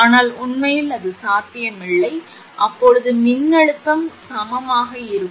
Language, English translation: Tamil, But in reality it is not possible then voltage will be equal